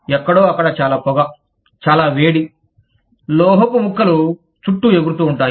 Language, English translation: Telugu, Someplace, where there is lots of smoke, lots of heat, shards of metal, flying around